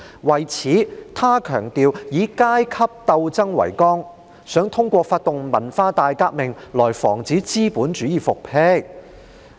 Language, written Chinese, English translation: Cantonese, 為此，他強調以階級鬥爭為綱，想通過發動文化大革命來防止資本主義復辟。, In view of this he emphasized that class struggle should be carried out as the key link and he hoped to prevent the restoration of capitalism by organizing the Cultural Revolution